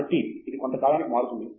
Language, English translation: Telugu, So, it changes over a period of time